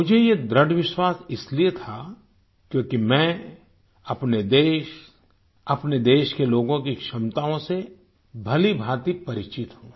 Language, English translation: Hindi, I had this firm faith, since I am well acquainted with the capabilities of my country and her people